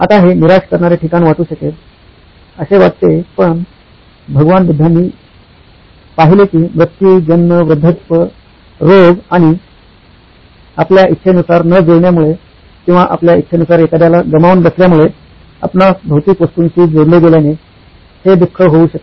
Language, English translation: Marathi, Now, it may seem like a depressing place to start but Lord Buddha sighted that suffering could be because of death, birth, ageing, diseases and your attachment to material possessions of your not meeting your desires, or losing somebody that you like